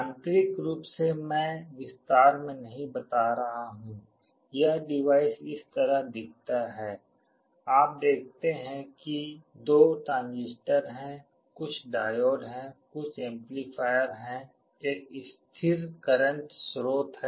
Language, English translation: Hindi, Internally I am not going into the detail explanation, this device looks like this, you see there are two transistors, some diodes, there are some amplifiers, there is a constant current source